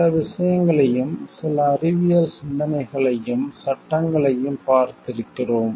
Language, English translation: Tamil, We have also seen like certain things maybe certain scientific thoughts and laws